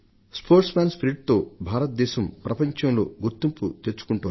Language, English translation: Telugu, India should be known in the world for its spirit of sportsmanship